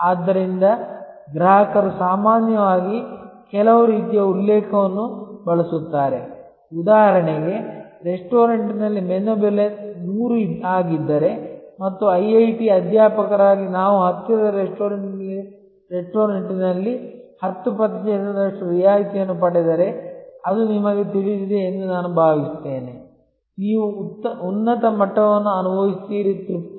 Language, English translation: Kannada, So, customer often use a some kind of reference, for example, if the menu price is 100 in a restaurant and we as IIT faculty get of 10 percent discount in a nearby restaurant, then we feel you know that, you feel a higher level of satisfaction